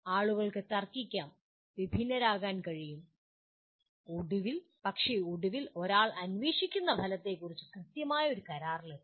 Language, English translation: Malayalam, One can debate, differ from each other but finally come to an agreement on what exactly the outcome that one is looking for